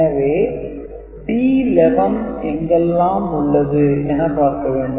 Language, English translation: Tamil, So the D 11, D 11 is present here, and D 11 is present here